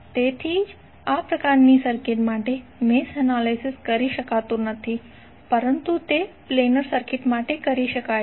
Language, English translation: Gujarati, So that is why the mesh analysis cannot be done for this type of circuits but it can be done for planar circuits